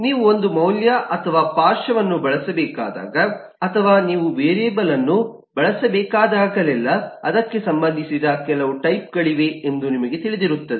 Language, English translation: Kannada, You would know that, eh, whenever you need to use a value or a lateral, or whenever you need to use a variable, there are certain types associated with it